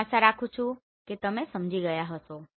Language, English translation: Gujarati, I hope you have understood this one